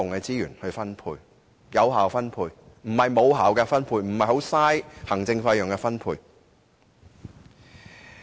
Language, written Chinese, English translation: Cantonese, 我所說的是有效分配，而非無效的分配，浪費行政費用的分配。, I am talking about effective rather than ineffective distribution or distribution which may lead to a waste of administration fees